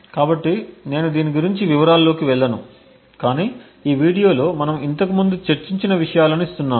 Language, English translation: Telugu, So, I would not go into details about this but giving the fact that what we discussed earlier in this video